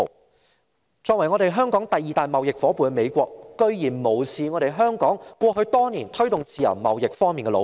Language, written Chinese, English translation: Cantonese, 美國作為香港的第二大貿易夥伴，竟然無視香港過去多年在推動自由貿易方面的努力。, The United States is the second largest trading partner of Hong Kong yet it disregards the effort Hong Kong has made in promoting free trade over the years